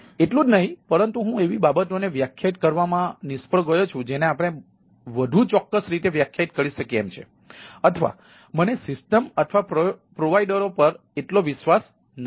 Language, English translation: Gujarati, it is not only insecurity that thing, but also i failed to defined the things which we are define in more precisely there, or i am not having that much trust or confidence on systems or the providers